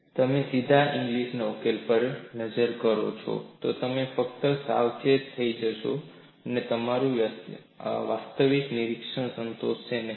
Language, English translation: Gujarati, If you directly look at Inglis solution, you will only get alarmed and it does not satisfy your actual observation